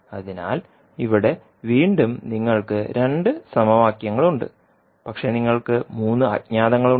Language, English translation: Malayalam, So here again, you have 2 equations, but you have 3 unknowns